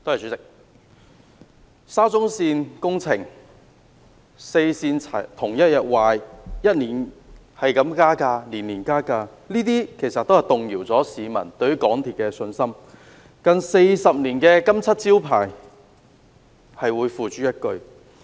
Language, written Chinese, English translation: Cantonese, 代理主席，沙田至中環線工程、四線同日故障、票價年年增加，這些都動搖了市民對香港鐵路有限公司的信心，令近40年的"金漆招牌"付之一炬。, Deputy President a number of incidents of the MTR Corporation Limited MTRCL such as the works projects of the Shatin to Central Link the failure of four rail lines on the same day and the yearly fare increases have shaken the confidence of Hong Kong people on the railway operator and shattered its gilt reputation built up in the past 40 years